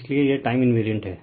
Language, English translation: Hindi, So, it is time invariance